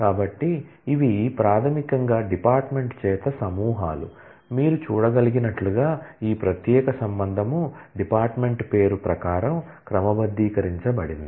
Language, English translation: Telugu, So, these are these are basically groupings by the department as you can see, that this particular relation has been sorted according to the department name